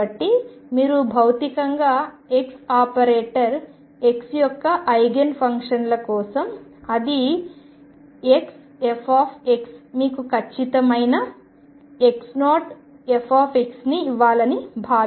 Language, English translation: Telugu, So, you can physically think that for Eigen functions of x operator x times it is fx should give you a definite x x 0